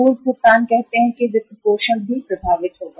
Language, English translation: Hindi, Prepayments uh say financing will also be affected